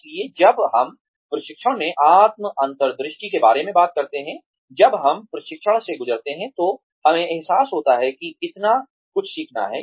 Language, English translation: Hindi, So, when we talk about self insight in training; when we go through training, we realize, how much there is to learn